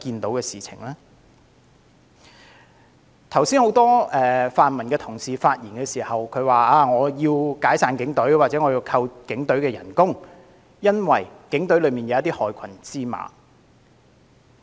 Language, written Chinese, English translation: Cantonese, 很多泛民同事剛才發言時，都要求解散警隊或削減警員薪酬，因為警隊有害群之馬。, Just now when many pan - democratic colleagues spoke they called for disbanding the Police Force or cutting the salaries of police officers as there were black sheep in the Police